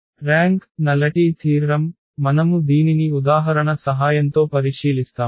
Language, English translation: Telugu, There is a rank nullity theorem which we will just observe with the help of the example